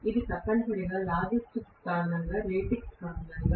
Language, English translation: Telugu, It is essentially due to logistics, due to the ratings and so on